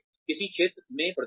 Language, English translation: Hindi, Performance in which field